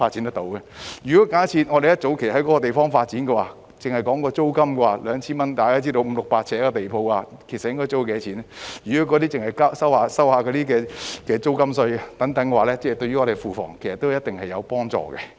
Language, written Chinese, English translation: Cantonese, 假設香港政府早在該處發展，單就 2,000 元的租金而言——大家也知道五六百呎地鋪的租金應該是多少——即使政府只是徵收租金稅等，對庫房也有一定的幫助。, If the Hong Kong Government had developed that place long ago for a rent of 2,000 alone―Members should know how much the rent for a 500 - square feet to 600 - square feet ground floor shop should be―the Treasury should have received some additional income even if the Government only levied taxes on rent and the like